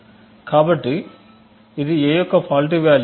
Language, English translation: Telugu, So this is the faulty value of a